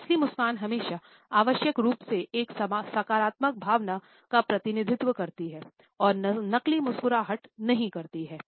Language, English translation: Hindi, Genuine smiles always necessarily represent a positive emotion and fake smiles do not